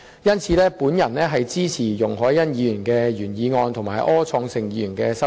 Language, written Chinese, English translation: Cantonese, 因此，我支持容海恩議員的原議案和柯創盛議員的修正案。, For these reasons I support Ms YUNG Hoi - yans original motion and Mr Wilson ORs amendment